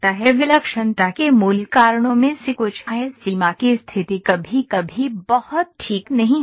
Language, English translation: Hindi, The certain causes of singularity the basic cause is the boundary condition sometimes are not put very fine